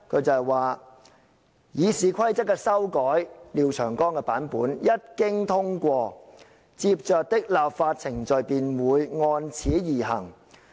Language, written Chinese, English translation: Cantonese, 她說："《議事規則》的修改一經通過，接着的立法程序便會按此而行。, Why? . She says Once the resolution on the amendments to the Rules of Procedure is passed any subsequent legislative procedure will be conducted according to the revised Rules of Procedure